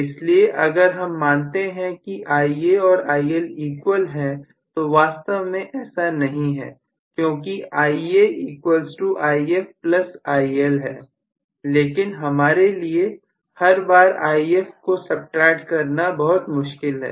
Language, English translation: Hindi, So, if I assume roughly Ia and IL are equal, they are not definitely but, it is very difficult for us to every time subtract If, otherwise you have to directly subtract If as well